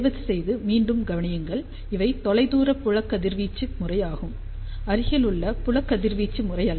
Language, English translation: Tamil, ah Please again note down that these are far field radiation pattern, and not near field radiation pattern ok